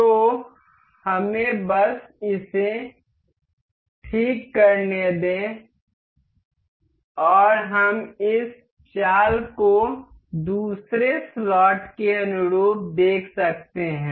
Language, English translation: Hindi, So, let us just let us fix this one and we can see this moves as in line with the other slot